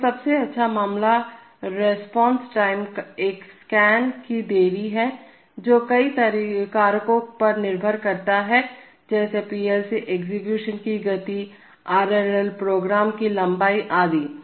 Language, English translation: Hindi, So, there is a, the best case response time is the delay of one scan, which depends on many factors like the speed of the PLC execution, also the length of the RL program etc